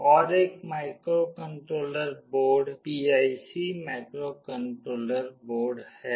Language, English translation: Hindi, Another microcontroller board is PIC microcontroller board